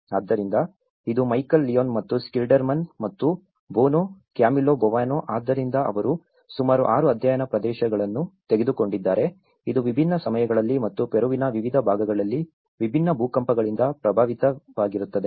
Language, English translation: Kannada, So, this is Michael Leone and Schilderman and Boano; Camillo Boano, so what they did was they have taken about 6 study areas, which are affected by different earthquakes in different timings and different parts of Peru